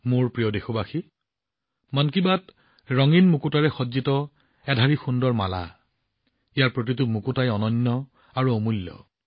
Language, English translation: Assamese, My dear countrymen, 'Mann Ki Baat' is a beautiful garland adorned with colourful pearls… each pearl unique and priceless in itself